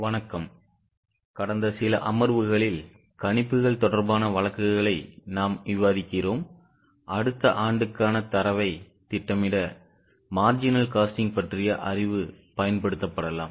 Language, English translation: Tamil, Namaste In last few sessions we are discussing cases on projections where the knowledge of marginal costing can be used for projecting the data for the next year